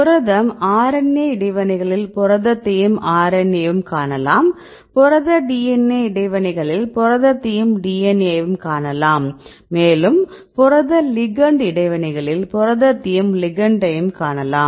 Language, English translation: Tamil, So, now we have these different complexes you have the protein protein interactions, protein DNA interactions, protein RNA interactions and protein ligand interactions